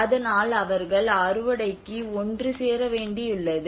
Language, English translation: Tamil, So that they have to come together for the harvest